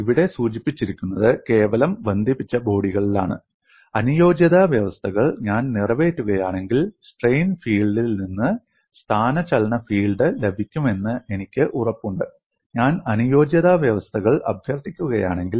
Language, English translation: Malayalam, And what is mentioned here is in simply connected bodies, if I satisfy the compatibility conditions, I am guaranteed to get the displacement field from the strain field; if I invoke the compatibility conditions